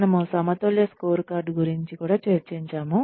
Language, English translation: Telugu, We discussed the balanced scorecard